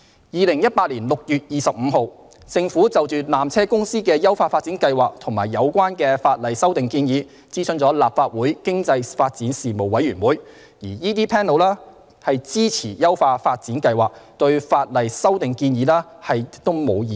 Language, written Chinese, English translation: Cantonese, 2018年6月25日，政府就纜車公司的優化發展計劃及有關的法例修訂建議，諮詢立法會經濟發展事務委員會，該委員會支持優化發展計劃，對法例修訂建議亦無異議。, On 25 June 2018 the Government consulted the Legislative Council Panel on Economic Development on PTCs upgrading plan and the relevant proposed legislative amendments . The Panel supported the upgrading plan and had no objection to the proposed legislative amendments